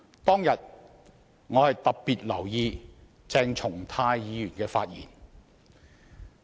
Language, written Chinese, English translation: Cantonese, 當天，我特別留意鄭松泰議員的發言。, That day I paid special attention to Dr CHENG Chung - tais speech